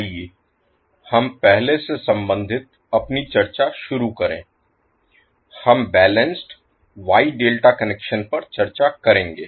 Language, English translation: Hindi, So let us start our discussion related to first we will discuss balanced wye delta connections